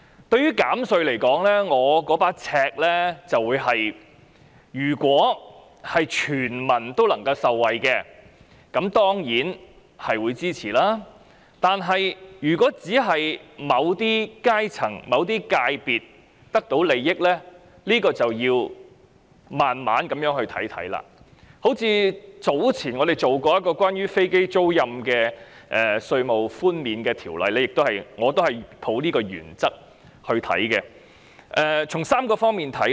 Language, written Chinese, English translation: Cantonese, 對於減稅，我所抱持的尺度是，如果全民能夠受惠，我當然會支持，但如果只是某些階層或界別得到利益，這便要慢慢審視，正如早前我們曾審議一項關於飛機租賃稅務寬免的法案，我亦抱持這個原則來審視。, In considering tax reduction I adopt the following yardstick if the whole community can benefit I will certainly render support; if only certain social strata or sectors can benefit we will have to examine the measure slowly . I also adopted this principle when we considered the bill on aircraft leasing tax concessions earlier